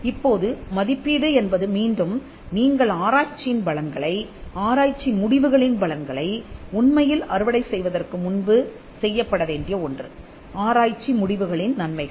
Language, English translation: Tamil, Now, the evaluation is again it is something that has to be done before you actually reap the benefits of the research; benefits of the research results